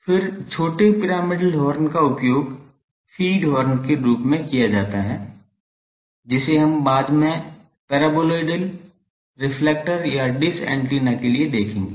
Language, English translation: Hindi, Then, small pyramidal horns are used as feed horns, that we will see later that for paraboloidal reflector or the dish antenna